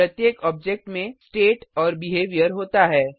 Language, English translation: Hindi, Each object consist of state and behavior